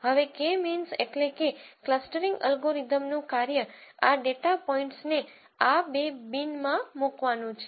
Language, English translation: Gujarati, Now the job of K means clustering algorithm would be to put these data points into these two bins